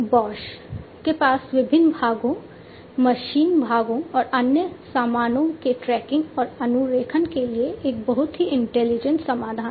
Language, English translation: Hindi, Bosch has a very intelligent solution for tracking and tracing of different parts machine parts different other goods and so on